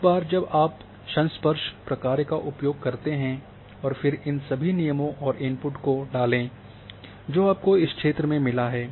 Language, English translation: Hindi, Once you use the contiguity function and then put all these constraints and input you get this area